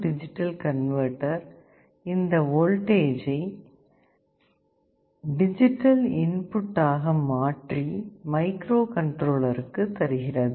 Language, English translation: Tamil, And an A/D converter will convert this voltage into a digital input and this microcontroller can read the digital input directly